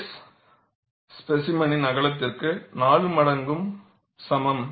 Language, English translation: Tamil, S equal to 4 times the width of the specimen